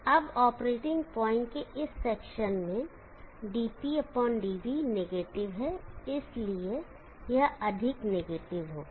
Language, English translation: Hindi, Now in this section of the operating point, dp/dv is negative, so therefore this will be more negative